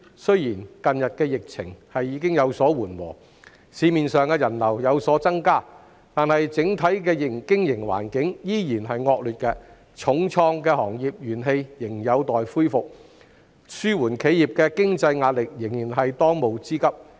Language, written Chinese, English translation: Cantonese, 雖然近日的疫情已有所緩和，市面上的人流亦有所增加，但整體的經營環境依然惡劣，受重創的行業仍有待恢復元氣，紓緩企業的經濟壓力仍然是當務之急。, As the epidemic situation has subsided recently there are now more people on the street . And yet the overall business environment remains poor and the hard - hit industries have yet to regain their vigour so relieving the financial burden on enterprises is still the top priority